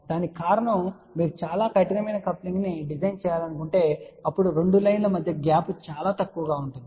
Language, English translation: Telugu, The reason for that is if you want to design very tight coupling then the gap between the two lines become very, very small